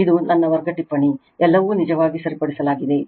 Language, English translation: Kannada, This is my class note everything it is corrected actually right